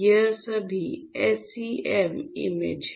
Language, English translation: Hindi, So, these are all SEM images